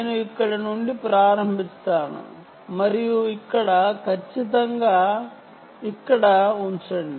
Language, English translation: Telugu, ok, i will start from here, move on and put it here exactly here